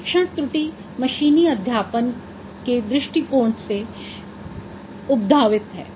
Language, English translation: Hindi, So training error, this term came from the machine learning perspective